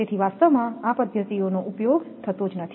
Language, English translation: Gujarati, So, in reality these methods are not used